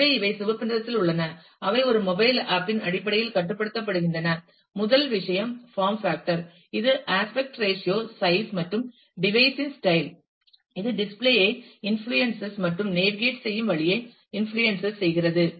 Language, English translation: Tamil, So, these are in red are some of the negatives, which are restrictive in terms of a mobile application the first thing is form factor, which is the look the aspect ratio the size and the style of the device, which influences display and influences the way you navigate